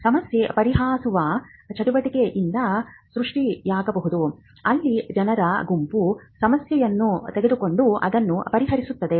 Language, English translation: Kannada, They may result from problem solving exercises, where a group of people take up a problem and solve it